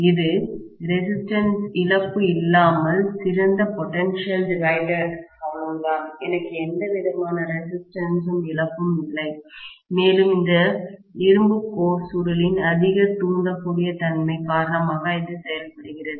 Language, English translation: Tamil, It is as good as potential divider but without resistive loss, that is all, don’t have any resistive loss and it works because of highly inductive region of iron cored coil, right